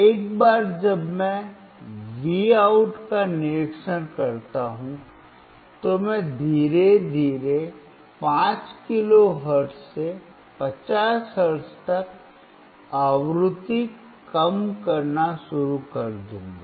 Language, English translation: Hindi, Once I observe the Vout, I will start decreasing the frequency slowly from 5 kilohertz to 50 hertz